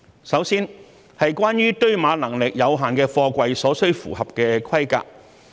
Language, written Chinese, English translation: Cantonese, 首先，是關於堆碼能力有限的貨櫃所需符合的規格。, First concerning the specifications for containers with limited stacking capacity